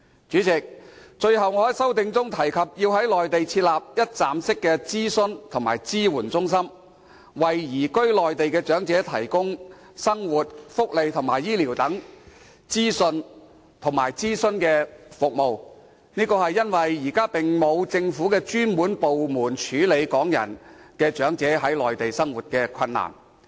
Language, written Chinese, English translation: Cantonese, 主席，最後，我在修正案中提及要在內地設立一站式諮詢及支援中心，為移居內地的長者提供生活、福利、醫療等資訊及諮詢服務，因為現時並沒有政府專責部門處理香港長者在內地生活困難的問題。, President lastly as stated in my amendment I propose setting up one - stop consultation and support centres in the Mainland to provide elderly persons who have moved to the Mainland with information and consultation services in respect of daily life welfare health care etc as there is no government department designated to handling problems encountered by the Hong Kong elderly residing in the Mainland